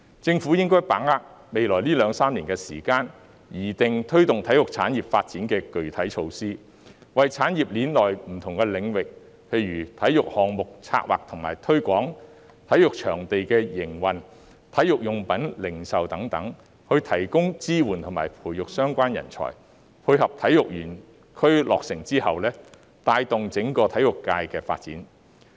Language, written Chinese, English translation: Cantonese, 政府應該把握未來兩三年的時間，擬定推動體育產業發展的具體措施，為產業鏈內不同領域，例如體育項目策劃和推廣、體育場地營運、體育用品零售等提供支援和培育相關人才，配合體育園區的落成，帶動整個體育界的發展。, The Government should seize the next two to three years to draw up specific measures to promote the development of the sports industry so as to provide support and nurture relevant talents for different areas in the industrial chain such as the planning and promotion of sports projects the operation of sports venues and the retail of sports goods etc . to tie in with the completion of KTSP and give impetus to the development of the sports sector as a whole